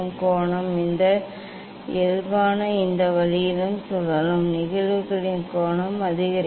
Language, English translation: Tamil, The angle; this normal will rotate this way angle of incidence will increase